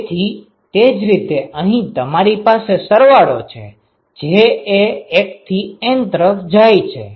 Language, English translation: Gujarati, So, similarly you have a summation here j going from 1 to N ok